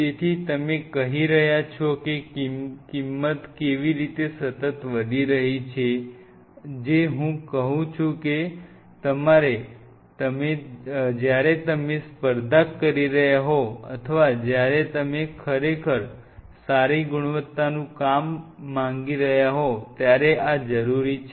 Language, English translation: Gujarati, So, you are saying how the price is continuously jacking up and these are I am telling these are bare essential when you are competing or when you are trying to pull out really good quality work